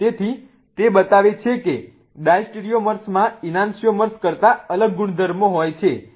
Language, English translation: Gujarati, So, what it shows is that diastereomers have different properties than enantiomers